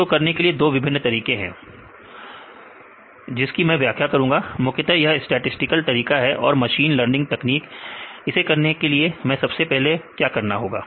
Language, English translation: Hindi, So, there are various methods to do this I will explain 2 different methods, mainly the statistical methods and the machine learning techniques how to do that right, what do we first step we have to do